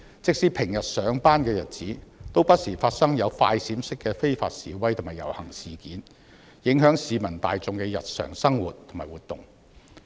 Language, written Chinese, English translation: Cantonese, 即使平日上班的日子，也不時發生"快閃式"的非法示威和遊行，影響市民大眾的日常生活。, Even on workdays during the week there were unlawful demonstrations and processions by flash mobs disrupting the everyday lives of people